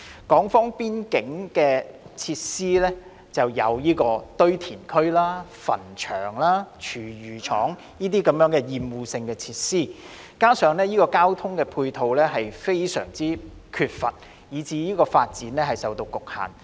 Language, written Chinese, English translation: Cantonese, 此外，邊境地帶設有堆填區、墳場、廚餘處理廠等厭惡性設施，加上欠缺交通接駁，以致發展受局限。, Moreover the presence of obnoxious facilities such as landfills cemeteries and food waste treatment plants in the border zone coupled with the lack of transport links has constrained the development of the zone